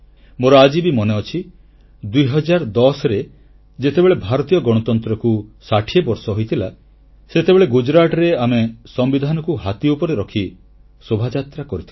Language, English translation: Odia, I still remember that in 2010 when 60 years of the adoption of the Constitution were being celebrated, we had taken out a procession by placing our Constitution atop an elephant